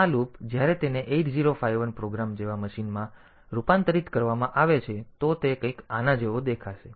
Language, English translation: Gujarati, So, this loop when it is converted into a program in machine like 8051 program, so it will look something like this